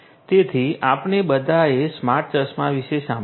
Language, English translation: Gujarati, So, all of us have heard about smart glasses smart glasses